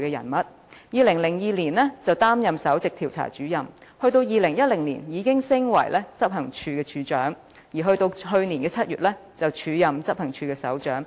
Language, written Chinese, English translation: Cantonese, 她在2002年升任首席調查主任，到了2010年已晉升至執行處處長的職位，到了去年7月更開始署任執行處首長。, She was promoted to the position of Principal Investigator in 2002 further to the position of Director of Investigation in 2010 and took up the acting appointment as Head of Operations from July last year